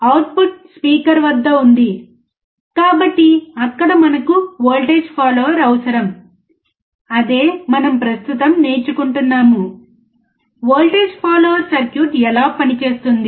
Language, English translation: Telugu, The output is at the speaker, so, there we require voltage follower, that is what we are learning right now: How voltage follower circuit works